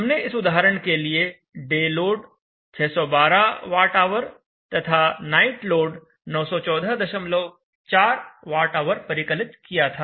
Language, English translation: Hindi, And we had the day load of 612Wh in the night load of 914